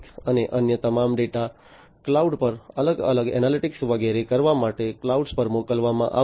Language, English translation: Gujarati, And all the other data are going to be sent to the cloud for performing different analytics and so on at the cloud